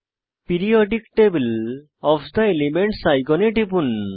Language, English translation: Bengali, Click on Periodic table of the elements icon